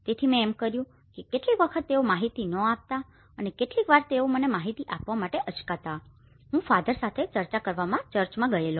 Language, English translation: Gujarati, So, what I did was sometimes they were not they were hesitant to give me data I went to the church I discussed with the father